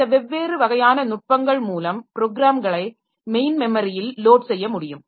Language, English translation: Tamil, So, so these are different type of mechanism by which programs can be loaded into the main memory